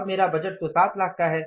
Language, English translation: Hindi, Now my budget is for 7 lakhs